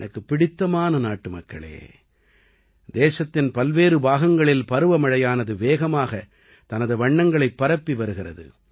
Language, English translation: Tamil, My dear countrymen, monsoon is spreading its hues rapidly in different parts of the country